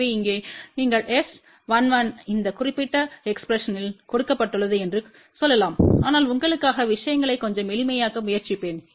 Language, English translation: Tamil, So, here you can say S 11 is given by this particular expression but I will try to make things little simpler for you